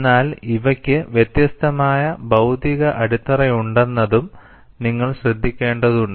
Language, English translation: Malayalam, But you will also have to note, that these have different physical basis